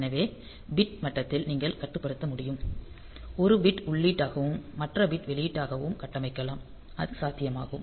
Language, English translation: Tamil, So, you can to control at the bit level may be one bit is configured as input, other bit configure as output; so, that is possible